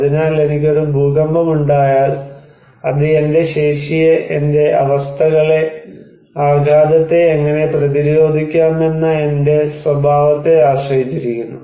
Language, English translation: Malayalam, So, if I am hit by an earthquake, it depends on my capacity, on my conditions, my characteristics that how I can resist the shock